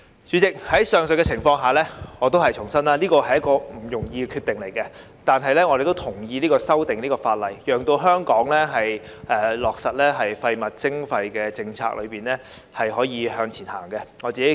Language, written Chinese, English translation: Cantonese, 主席，在上述情況下，我重申這是不容易的決定，但我們同意修訂這項法例，讓香港在落實廢物徵費政策上可以向前走。, President under the above circumstances let me reiterate that this is not an easy decision but we agree to the amendment of this ordinance to enable Hong Kong to move forward in implementing the waste charging policy